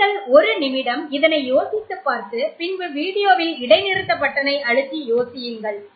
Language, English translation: Tamil, So you can think about it for a minute by pressing the pause button on your video